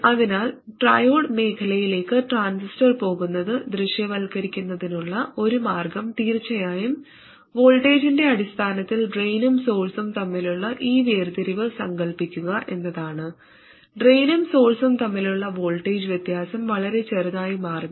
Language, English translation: Malayalam, So one way to visualize the transistor going into triode region is to imagine this separation between the drain and source in terms of voltage of course, the voltage separation between drain and source becoming too small